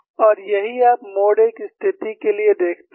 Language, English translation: Hindi, And that is what you see for the mode 1 situation